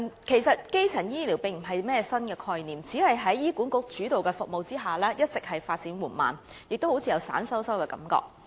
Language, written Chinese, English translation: Cantonese, 其實，基層醫療並非甚麼新概念，只是在醫院管理局主導的服務下一直發展緩慢，亦予人有點鬆散的感覺。, Actually primary health care is not any new concept . It is only that its development has been slow among the services led by the Hospital Authority HA and it also gives people the impression that it is kind of loosely organized